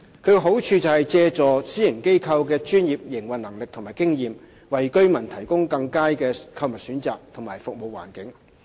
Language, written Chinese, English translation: Cantonese, 其好處是借助私營機構的專業營運能力和經驗，為居民提供更佳的購物選擇和服務環境。, Such practice allows HA to leverage on the expertise and experience of the private sector with a view to providing better shopping choices services and environment for residents